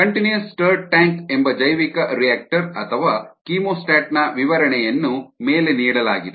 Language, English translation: Kannada, this is the representation of a continuous stirred tank, a bioreactor or a chemostat